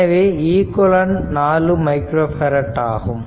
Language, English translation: Tamil, So, this equivalent of this 4 micro farad